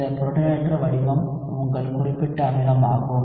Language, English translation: Tamil, This protonated form is your specific acid